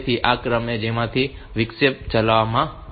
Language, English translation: Gujarati, So, this is the sequence in which this interrupt will be executed